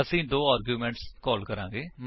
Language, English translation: Punjabi, we will pass two arguments